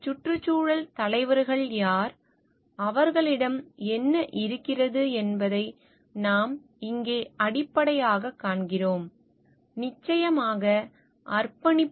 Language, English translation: Tamil, So, who are environmental leaders and what do they have is what we find over here at the base is ofcourse, the commitment